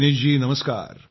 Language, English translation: Marathi, Dinesh ji, Namaskar